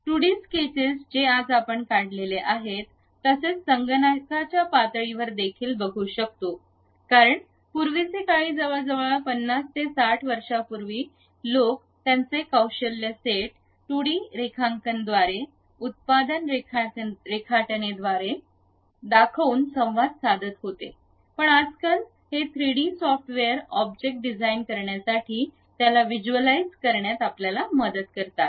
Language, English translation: Marathi, The 2D sketches what we have drawn the same representation you will have at computer level also because earlier days something like some 50 60 years back people communicate their skill set in terms of drawing, production drawings everything through 2D drawings, but nowadays these 3D softwares really help us to visualize the object to design it